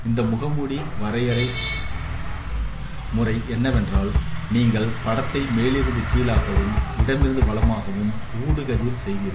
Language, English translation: Tamil, So the algorithm for this mask could be that you scan the image top to bottom and left to right